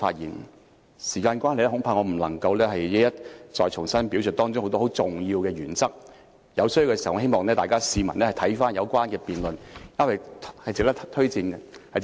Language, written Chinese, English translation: Cantonese, 由於時間關係，我恐怕不能夠一一重新表述當中很多很重要的原則，在需要時，希望各位市民可翻看有關的辯論，那是值得推薦和觀看的。, As time is running out I am afraid I cannot repeat many of the key principles therein . If necessary I hope members of the public can refer to the relevant debate which is worthy of recommendation and viewing